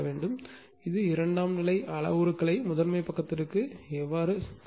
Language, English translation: Tamil, So, who will take the secondary parameter to the primary side